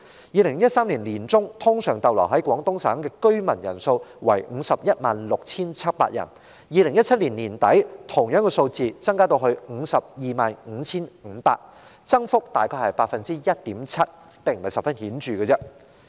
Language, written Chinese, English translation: Cantonese, 2013年年中，通常逗留在廣東省的居民人數為 516,700 人；到2017年年底，人數增至 525,500 人，增幅約 1.7%， 並不十分顯著。, The number of Hong Kong residents usually staying in Guangdong in mid - 2013 was 516 700 . The figure increased to 525 500 by the end of 2017 representing an increase of 1.7 % . Such rate of increase was not so significant